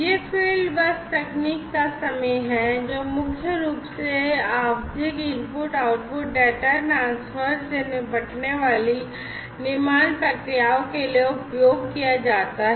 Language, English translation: Hindi, So, these are time in the field bus technology is primarily used for manufacturing processes dealing with periodic input output data transfer